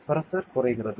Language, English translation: Tamil, So, what is pressure